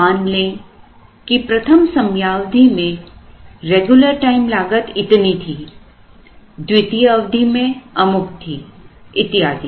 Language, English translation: Hindi, Let us say that regular time cost was so much was in the first period, so much in the second period and so on